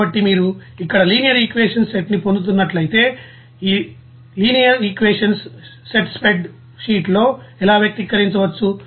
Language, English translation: Telugu, So, if you are getting here a set of linear equations and then how these set of linear equations can be expressed in a spreadsheet